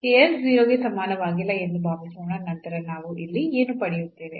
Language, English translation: Kannada, So, suppose this s is not equal to 0 then what do we get here